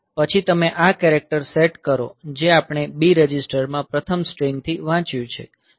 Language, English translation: Gujarati, Then you set this character; that we have read from the first string into the B register